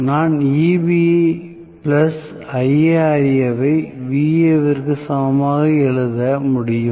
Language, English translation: Tamil, So, I can write Eb plus IaRa equal to Va